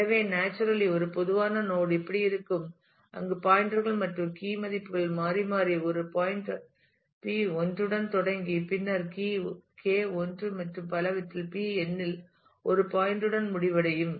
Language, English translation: Tamil, So, naturally a typical node will look like this, where the pointers and key values alternate starting with a pointer P 1, then key K 1 and so, on and ending with a point at P n